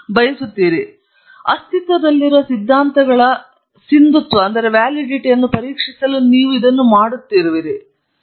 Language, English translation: Kannada, Or you may be doing it in order to check the validity of existing theories